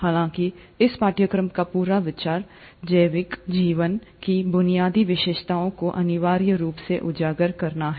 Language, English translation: Hindi, However, the whole idea of this course is to essentially highlight the basic features of biological life